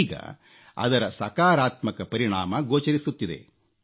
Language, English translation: Kannada, And the positive results are now being seen